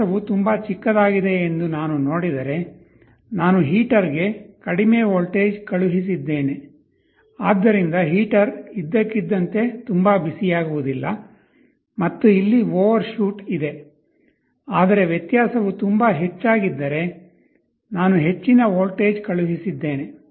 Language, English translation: Kannada, If I see my difference is very small I sent a lower voltage to the heater so that the heater does not suddenly become very hot and there is an overshoot, but if the difference is very large I sent a large voltage